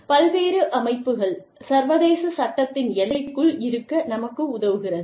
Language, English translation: Tamil, Various organizations, that help us, stay within the confines of, international law